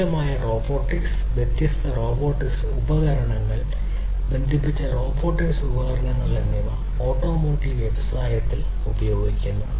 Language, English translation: Malayalam, Advanced robotics, different robotics, robotic equipments, connected robotic equipments are being used in the automotive industries